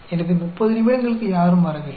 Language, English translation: Tamil, So, for 30 minutes nobody came